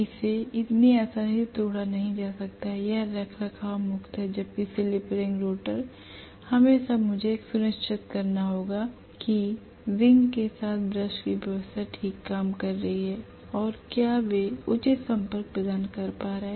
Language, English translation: Hindi, It cannot be broken so easily, it is maintenance free whereas slip ring rotor every now and then I have to make sure that the brush arrangement around with the slip ring is working fine, whether they are making proper contact